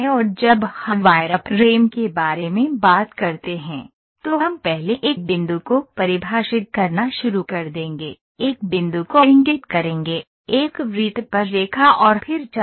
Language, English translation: Hindi, And when we talk about wireframe, we will first always start defining a point, point to a line, line to a circle and then arc